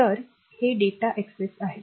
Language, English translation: Marathi, So, this is data access